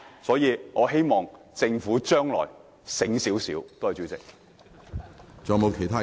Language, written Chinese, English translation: Cantonese, 所以，我希望政府將來醒目一點。, I hope the Government will be smarter in the future